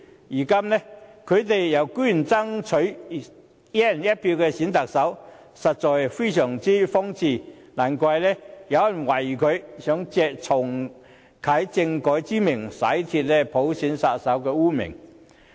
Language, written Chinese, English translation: Cantonese, 如今，他們居然說要爭取"一人一票"選特首，實在非常荒謬，難怪有人懷疑他們想藉重啟政改以洗脫其"普選殺手"的污名。, But now what nonsense they talk when they make the claim of fighting for electing the Chief Executive on a one person one vote basis? . No wonder some people doubt that they want to eliminate their stigma of universal suffrage killer by reactivating constitutional reform